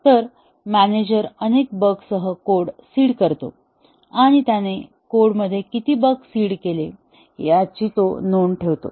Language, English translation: Marathi, So, the manager seeds the code with this many bugs and he keeps a note of that, how many bugs he has seeded in the code